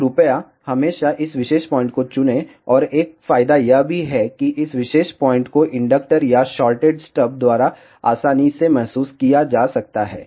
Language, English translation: Hindi, So, please always choose this particular point and also there is an advantage this particular point can be very easily realized by an inductor or shorted stub